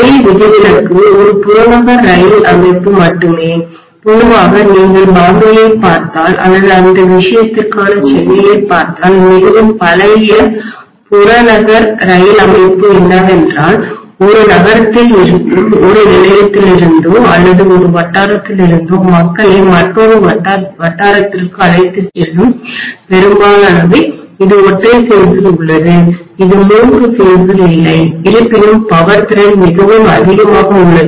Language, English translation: Tamil, The only exception is a suburban train system, normally if you look at Bombay or if you look at Chennai for that matter very old suburban train system what is there which takes people from one station or one locality within the city to another locality, most of it is in single phase it is not in three phase although the power capacity is pretty much high